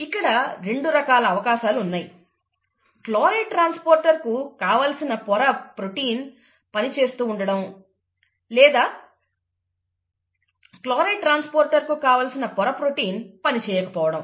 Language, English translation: Telugu, There are two possibilities; the membrane protein for the chloride transporter, is either functional or the membrane protein for the chloride transporter is not functional, right